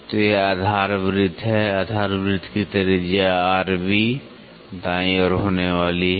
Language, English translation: Hindi, So, this is the base circle, this is the base circle the radius of the base circle is going to be r b, right